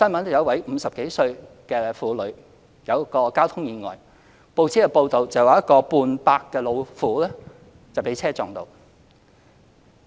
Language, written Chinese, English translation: Cantonese, 有一位50多歲的婦女遇到交通意外，報紙報道指"半百老婦"被車撞到。, The news reported a traffic accident involving a woman aged 50 - odd and it was written in the newspaper that an old woman aged 50 was hit by a car